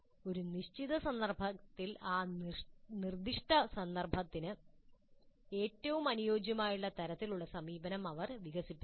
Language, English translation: Malayalam, So over a period of time they have to evolve what kind of approaches are best suited for their specific context